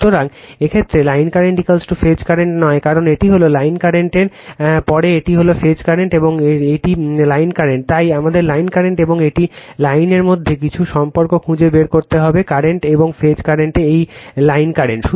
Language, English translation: Bengali, So, in this case line current is not is equal to phase current because, this is the line current after that this is the phase current and this is the line current so, we have to find out some relationships between the line current and this is the line current and phase current this is the line current right